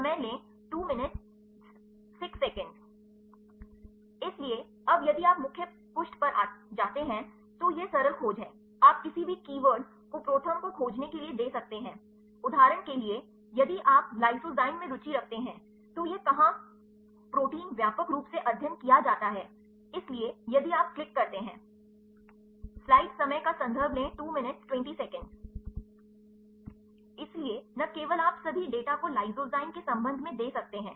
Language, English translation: Hindi, So, now if you go to the main page right so, so this is the simple search you can give any keywords to search ProTherm for example, if you are interested lysozyme, where this is the protein widely studied, so, can if you click go